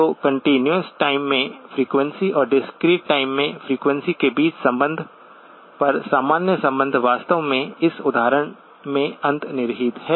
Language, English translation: Hindi, So the general over arching relationship between frequency in the continuous time and frequency in the discrete time is actually embedded in this example